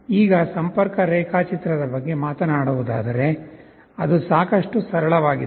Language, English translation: Kannada, Now, talking about the connection diagram it is fairly simple